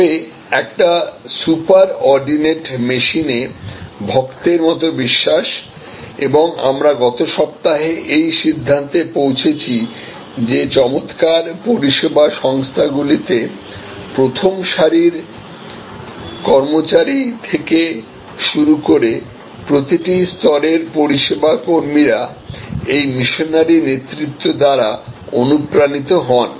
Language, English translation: Bengali, But, almost a servant like belief in a super ordinate machine and we concluded last week that in excellent service organizations, even the frontline employees, service personnel at every level are inspired by this leadership, missionary leadership